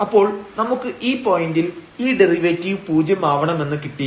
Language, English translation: Malayalam, So, we at this point here we get that this derivative must be 0